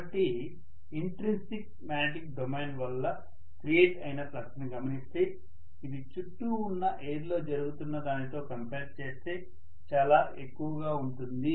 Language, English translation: Telugu, So if I try to look at the flux that is created it due to the intrinsic magnetic domain, that will be much higher as compared to what is happening in the surrounding air